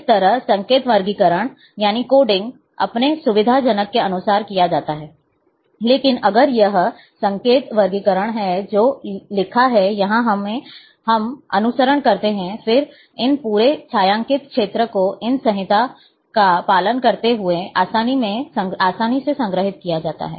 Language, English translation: Hindi, So, likewise, the coding can be done, as per your convenient, but if that that is the coding which is written here we follow, then this entire shaded area, can be stored quite easily, following these codes